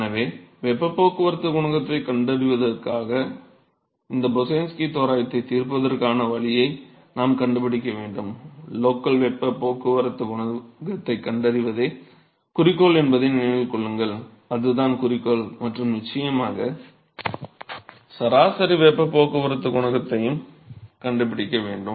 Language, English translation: Tamil, So, we need to find a way to solve these Boussinesq approximation in order to find the heat transport coefficient remember that the objective is to find the local heat transport coefficient, that is the objective and of course, the average heat transport coefficient